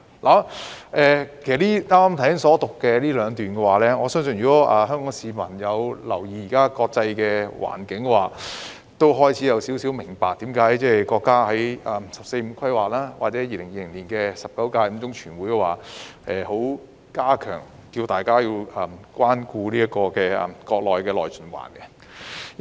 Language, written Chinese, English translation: Cantonese, 關於我剛才引述的兩段，香港市民有留意現時的國際環境也應該開始明白，為何國家會在"十四五"規劃及2020年的中共第十九屆五中全會呼籲要關顧國家內循環。, Regarding the two passages I have just quoted Hong Kong people keeping an interest in the current international landscape should begin to understand why the country has called on its people to show concern about domestic circulation in the 14th Five - Year Plan and the Fifth Plenary Session of the 19th CCCPC in 2020